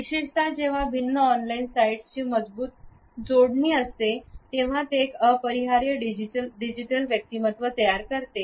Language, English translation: Marathi, Particularly, when there is a strong connectivity of different on line sites, which creates an inescapable digital personality